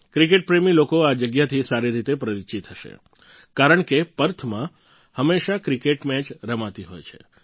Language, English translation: Gujarati, Cricket lovers must be well acquainted with the place since cricket matches are often held there